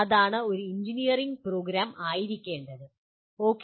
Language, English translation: Malayalam, That is what an engineering program ought to be, okay